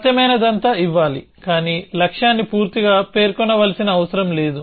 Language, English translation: Telugu, Everything that is true must be given, but a goal does not have to be completely specified